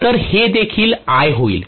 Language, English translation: Marathi, So this is going to be I as well